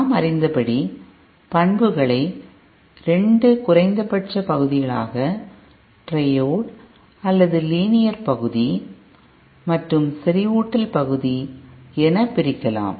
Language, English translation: Tamil, And as we know the characteristics can be divided into 2 minimum regions, the triode or the linear region and the saturation region